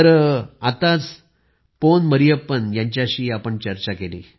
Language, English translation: Marathi, We just spoke to Pon Mariyappan ji